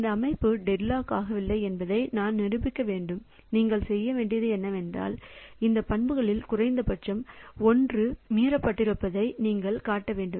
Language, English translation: Tamil, So, to prove that a system is not deadlocked, what you have to do is that we have to show that at least one of these properties is violated